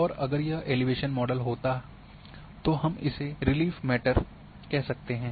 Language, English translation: Hindi, And if it would have been elevation model we can call as a relief matter